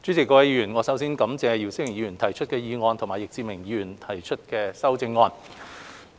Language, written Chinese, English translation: Cantonese, 主席、各位議員，我首先感謝姚思榮議員提出議案，以及易志明議員提出修正案。, President Members first of all my thanks go to Mr YIU Si - wing for proposing the motion and also to Mr Frankie YICK for proposing an amendment